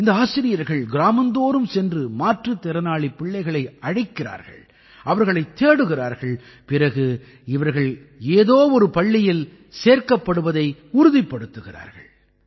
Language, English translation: Tamil, These teachers go from village to village calling for Divyang children, looking out for them and then ensuring their admission in one school or the other